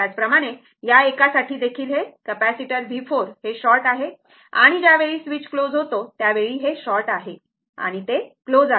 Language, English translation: Marathi, Similarly, similarly for this one also this capacitor ah that V 4 this is short and voltage at as soon as switch is closed, that your this is short and it is closed